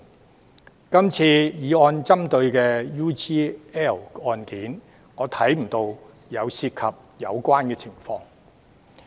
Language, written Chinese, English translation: Cantonese, 在今次議案所針對的 UGL 案，我便看不到涉及相似的情況。, But I cannot see any similar condition in the UGL case referred to in this motion